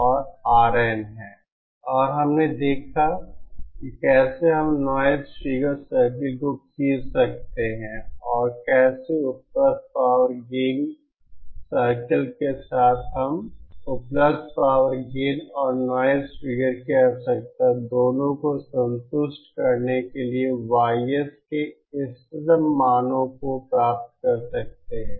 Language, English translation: Hindi, And we saw how we can draw this noise figure circles and how we along with the available power gain circles we can obtain optimum values of YS to satisfy both the available power of gain requirement and the noise figure requirement